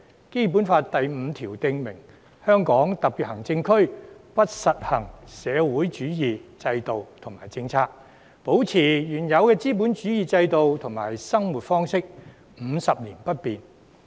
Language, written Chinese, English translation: Cantonese, 《基本法》第五條訂明："香港特別行政區不實行社會主義制度和政策，保持原有的資本主義制度和生活方式，五十年不變。, Article 5 of the Basic Law stipulates The socialist system and policies shall not be practised in the Hong Kong Special Administrative Region and the previous capitalist system and way of life shall remain unchanged for 50 years